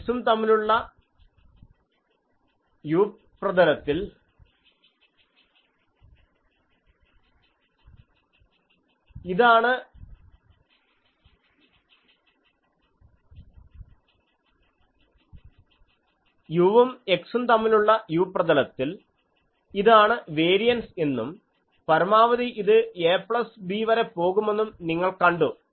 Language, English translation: Malayalam, You see that in the u plane u versus x, this is the variance and maximum it goes to a plus b